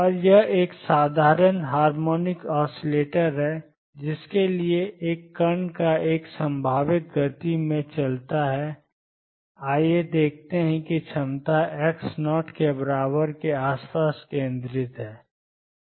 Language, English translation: Hindi, And that is a simple harmonic oscillator for which a particle moves in a potential let us see the potential is centered around x equals 0